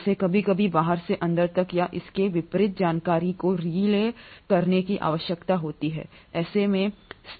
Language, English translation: Hindi, It needs to sometimes relay the information from outside to inside or vice versa